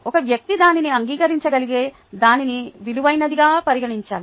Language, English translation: Telugu, a person needs to value it to be able to accept it